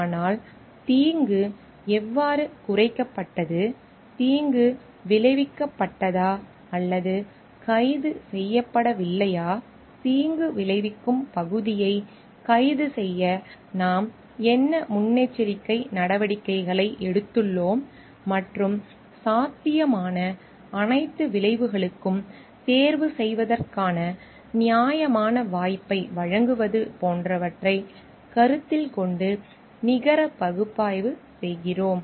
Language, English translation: Tamil, But we are doing a net analysis taking into consideration like how the harm has minimized, whether harm has been arrested or not, what proactive steps we have taken to arrest for the harm part and giving a fair chance of selection to all the possible outcomes